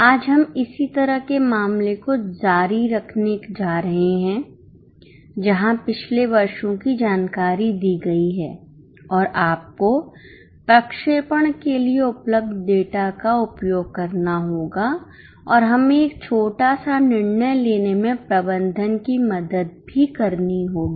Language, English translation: Hindi, Today we are going to continue with a similar type of case where last year's information is given and you will have to use the data available for projection and we will have to also help management in taking a small decision